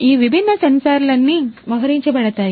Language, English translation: Telugu, So, all of these different sensors are going to be deployed